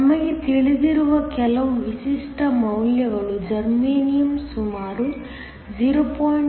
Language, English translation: Kannada, Some typical values we know Germanium is around 0